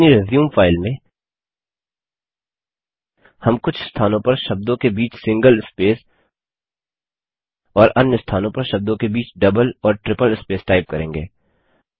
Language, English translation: Hindi, In our resume file, we shall type some text with single spaces in between words at few places and double and triple spaces between words at other places